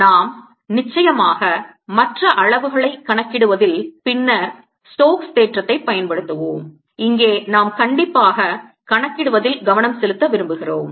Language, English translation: Tamil, we'll, off course, be making use of stokes theorem later in calculating other quantities, and here we want to focus strictly on calculating